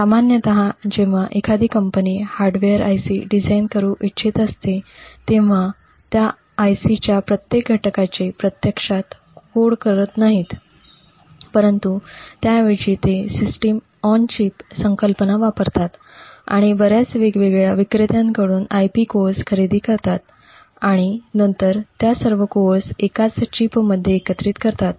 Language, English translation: Marathi, Typically when a company wants to design a hardware IC, they do not actually code every single component of that IC, but rather they would use a system on chip concept and purchase IP cores from several different vendors and then integrate all of these cores within a single chip